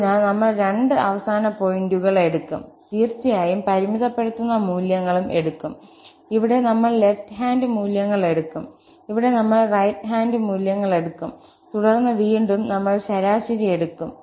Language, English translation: Malayalam, So, we will take the two end points, the limiting values obviously, here we will take the left hand values, here we will take the right hand values, and then again, we will take the average